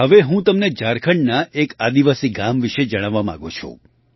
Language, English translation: Gujarati, I now want to tell you about a tribal village in Jharkhand